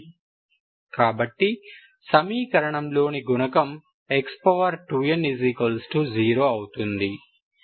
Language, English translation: Telugu, This is the coefficient of x power 2 n here